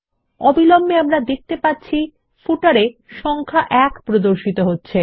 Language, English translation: Bengali, Immediately, we see that the number 1 is displayed in the footer